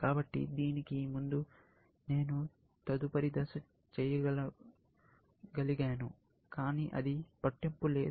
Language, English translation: Telugu, So, I could have done the next step before this, but it does not matter